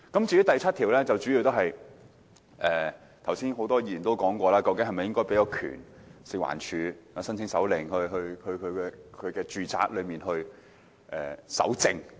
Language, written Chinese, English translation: Cantonese, 至於第7條，正如剛才多位議員問道，究竟應否賦權食物環境衞生署申請手令進入住宅搜證呢？, As for clause 7 many Members asked just now whether the Food and Environmental Hygiene Department FEHD should be empowered to collect evidence in residential units upon application for a search warrant